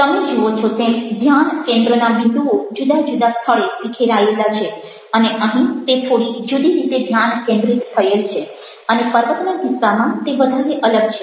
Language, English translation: Gujarati, you see that the points of focus are spread out in different places and here it is focused in slightly different way